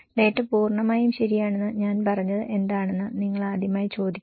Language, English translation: Malayalam, This is the first time you have asked what I said the data is totally accurate okay